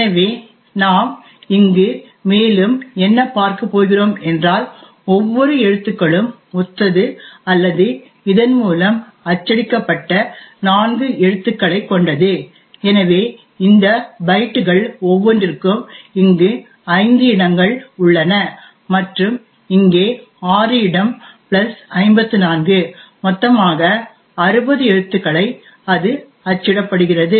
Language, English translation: Tamil, So let us see over here so each of this corresponds to a one character or so it is 4 characters that are printed by this, so one for each of these bytes then there is a space over here so five and another space over here six plus 54 so it is a total of sixty characters that gets printed